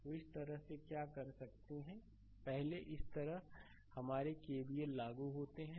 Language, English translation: Hindi, So, this way so, what you can do is first you apply your KVL like this